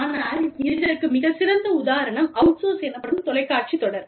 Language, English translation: Tamil, But, a very nice example of this, is a TV series called, outsourced